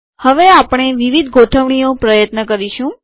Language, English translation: Gujarati, We will now try different alignments